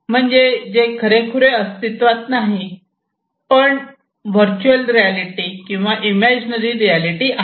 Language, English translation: Marathi, It is something that is not real in fact, but is a virtual reality imaginary reality